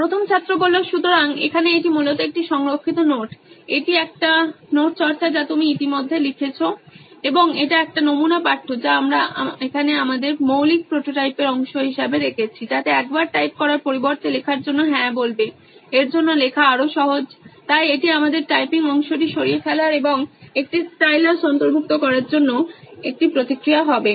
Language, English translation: Bengali, So, Here this is basically a saved notes, this is practising a note which you have already written on and this is a sample text what we have put up here as a part of our basic prototype, so that once you say yes instead of typing say writing is more easy for this, so that would be a feedback for us to remove the typing part of it and say incorporating a stylus